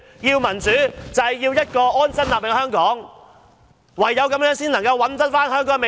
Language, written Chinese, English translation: Cantonese, 要求民主，就是要有一個安身立命的香港，唯有這樣才能找回香港的未來。, We want democracy for we want Hong Kong to be a place of settlement for our lives . This is the only way to rediscover the future of Hong Kong